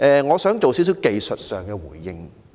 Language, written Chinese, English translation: Cantonese, 我想作出一些技術上的回應。, I wish to respond to some technical points now